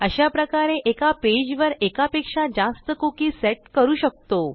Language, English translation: Marathi, So you see we can set more than one cookie in a page